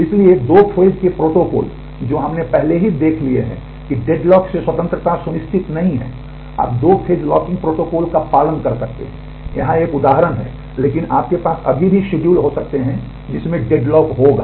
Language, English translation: Hindi, So, the two phase protocol we have already seen that does not ensure freedom from deadlock, you can may follow 2 phase locking protocol here is an example, but you may still have schedules which will have deadlocks